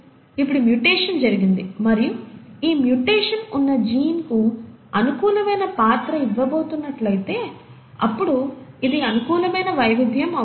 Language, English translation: Telugu, So now, this mutation has happened and if this mutation is going to impart a favourable character to the gene in which it is present, then this becomes a favourable variation